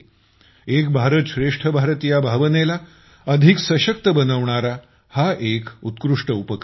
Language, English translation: Marathi, This is a wonderful initiative which empowers the spirit of 'Ek BharatShreshtha Bharat'